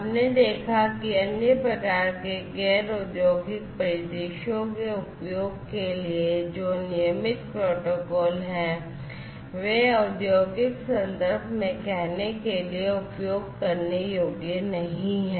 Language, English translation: Hindi, We have seen that the regular protocols that are there for use for other types of non industrial scenarios are not usable, for say, in the industrial context